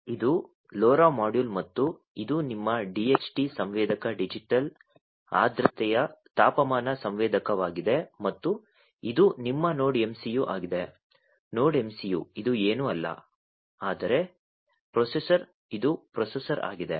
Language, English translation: Kannada, This is this LoRa module and this is your DHT sensor the digital humidity temperature sensor and this is your NodeMCU; NodeMCU which is nothing, but the processor right this is the processor